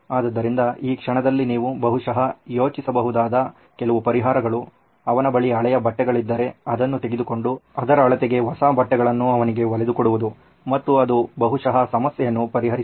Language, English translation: Kannada, So, some of the solutions that you can probably think of at this moment is that well if he has old clothes, I would just get that and give it to him and that will probably solve the problem